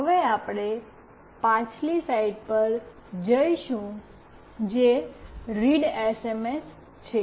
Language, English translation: Gujarati, Now, we will go to the previous slide that is readsms